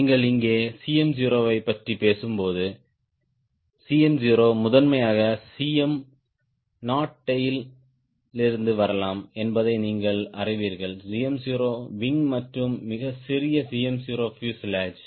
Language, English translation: Tamil, you also know that when you talking about cm naught here, cm naught can come from cm naught tail, primarily cm naught wing and very small cm naught fuselage